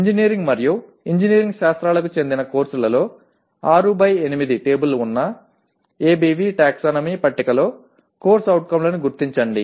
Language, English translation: Telugu, Whereas in courses belonging to engineering and engineering sciences locate the COs in ABV taxonomy table which has 6 by 8 table